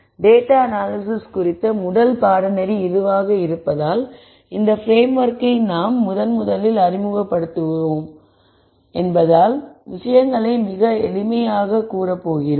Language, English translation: Tamil, So, since there is the first course on data analysis and this the first time we are introducing this framework we are going to keep things very simple